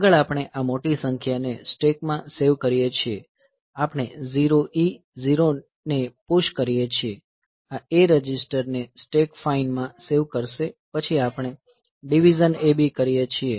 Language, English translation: Gujarati, So, next we save this larger number into stack, so we do like push 0 E 0 H, so this will be saving A register into stack fine then we do a DIV AB